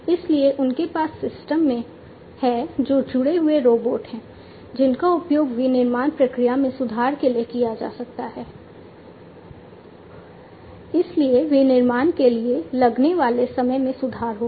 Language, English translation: Hindi, So, they have systems, which are connected robots that can be used for improving the manufacturing process, so improving the time that it takes for manufacturing